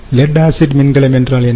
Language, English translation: Tamil, ok, so what is the lead acid battery